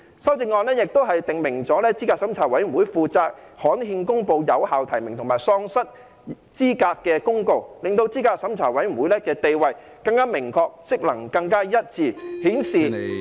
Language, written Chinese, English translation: Cantonese, 修正案亦訂明資審會負責刊憲公布有效提名及喪失資格的公告，令資審會的地位更明確，職能更一致，顯示......, Amendments are also proposed to provide that CERC shall be responsible for publishing in the Gazette a notice to declare the valid nomination or disqualification of a candidate . This will enable CERC to have a clearer position and its duties and functions more consistent showing